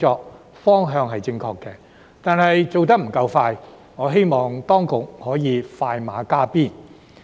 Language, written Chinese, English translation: Cantonese, 不過，雖然方向正確，但做得不夠快，所以我希望當局可以快馬加鞭。, However despite having a right direction the Bureau is not working efficiently enough . Therefore I hope that the authorities can expedite even further